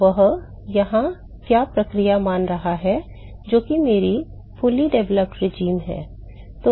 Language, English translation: Hindi, So, what are the process it are supposing here is my fully developed regime